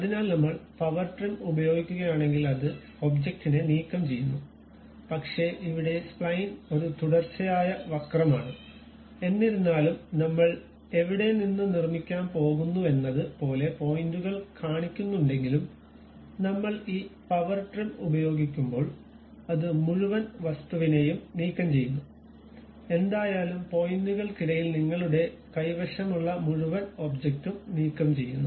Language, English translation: Malayalam, So, if I use Power Trim it removes that object, but here Spline is a continuous curve though it is showing like points from where to where we are going to construct, but when you use this Power Trim it removes the entire object, whatever the entire object you have between the points that will be removed